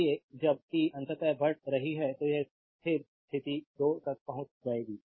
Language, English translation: Hindi, So, when t is increasing finally, it will reach to the steady state the 2 right